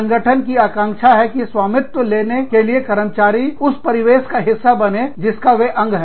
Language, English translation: Hindi, The organization expects its employees, to take ownership, and become a part of the milieu, that they are a part of